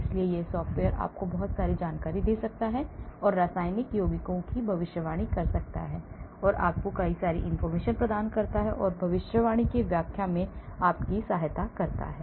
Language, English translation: Hindi, so this software can give you a lot of information that predicts chemical compounds and provides fragments and to aid interpreting prediction